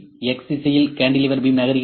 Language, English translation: Tamil, The cantilever moving beam is moving in X direction